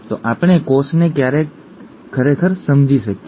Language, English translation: Gujarati, So when can we understand the cell really